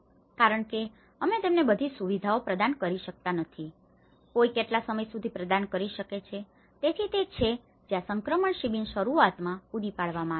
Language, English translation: Gujarati, Because, we cannot keep providing them all the facilities, for how long one can provide, so that is where the transition camps have been provided initially